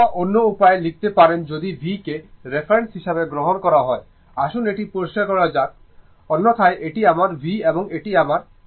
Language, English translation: Bengali, Or other way we can write if you take the v as the reference, let me clear it, otherwise your this is my v and this is my I, right